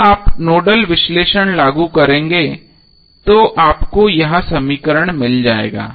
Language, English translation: Hindi, So you will simply get this equation when you apply the Nodal analysis